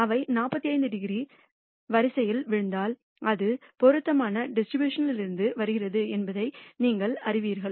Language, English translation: Tamil, And if they fall on the 45 degree line then you know that it comes from the appropriate distribution